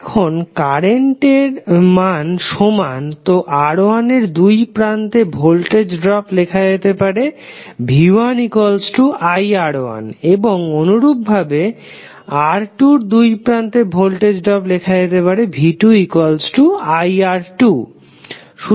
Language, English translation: Bengali, Now the current is same, so drop, voltage drop across the resistor R¬1¬ can be written as v¬1¬ is equal to iR1¬ and similarly voltage drop against resistor, in resistor 2 would be iR¬2¬